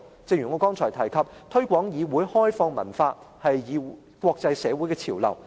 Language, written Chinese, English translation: Cantonese, 正如我剛才提及，"推廣議會開放文化"是國際社會的潮流。, As I mentioned earlier promoting a culture of openness of the parliament is the trend of the international community